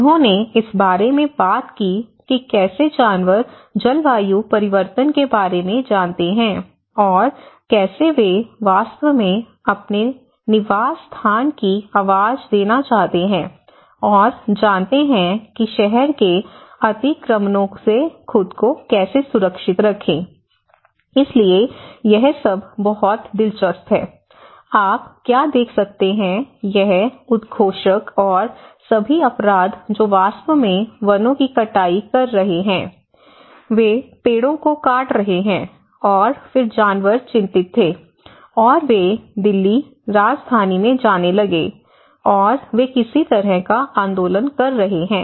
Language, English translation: Hindi, They talked about how animals show their you know concerns about the climate change and how they want to actually give their voice of their habitat, and you know how to safeguard themselves with the city encroachments, so this is all very interesting what you can see is this the proclaims and all the crimes which are actually taking the deforestation, they are cutting down the trees, and then the animals were worried, and they start going to the Delhi, the capital, and they are making some kind of agitation